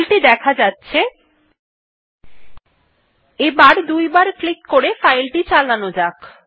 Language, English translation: Bengali, Here is my file, now i double click it to open it